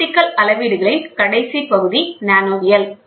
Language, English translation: Tamil, The last part of the optical measurements is nanometrology